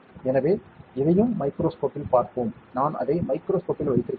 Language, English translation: Tamil, So, let us look at this also under the microscope, I have kept it in a microscope